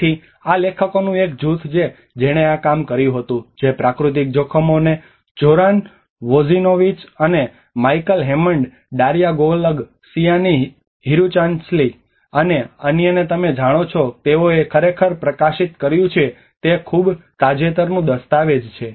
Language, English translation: Gujarati, So this is a group of authors which worked that has been published in natural hazards and Zoran Vojinnovic, and Michael Hammond, Daria Golub, Sianee Hirunsalee, and others you know they have actually published is a very recent document